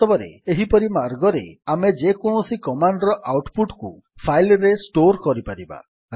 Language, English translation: Odia, In fact we can store the output of any command in a file in this way